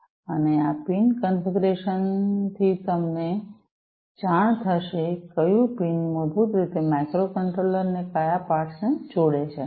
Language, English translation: Gujarati, And from these pin configurations you will come to know, which pin basically connects to which port right, which port of the microcontroller